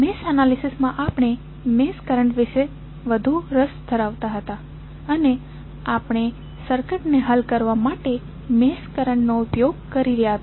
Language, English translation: Gujarati, So, in the mesh analysis we are more concerned about the mesh current and we were utilizing mesh current to solve the circuit